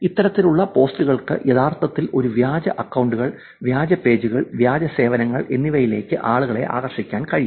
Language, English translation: Malayalam, These kind of posts can actually lure people into using these fake accounts, fake pages, fake services